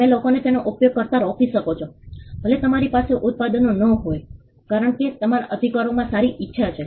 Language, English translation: Gujarati, You could stop people from using it; even if you do not have products because your rights have good will